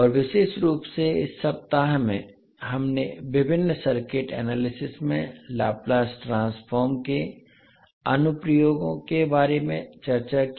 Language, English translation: Hindi, And particularly in this week, we discussed about the application of Laplace Transform in various circuit analysis